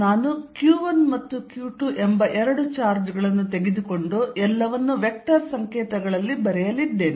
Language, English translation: Kannada, So, let us repeat this I am going to take two charges q 1 and q 2 and write everything in vector notation